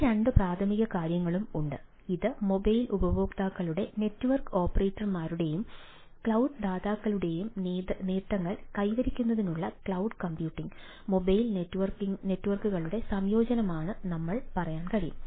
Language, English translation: Malayalam, so this two primarily things are there and we can say its a ah combination of cloud computing, mobile networks to bring benefits of the mobile users network operators as well as the cloud providers